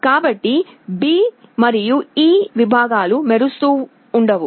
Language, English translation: Telugu, So, the segments B and E will not be glowing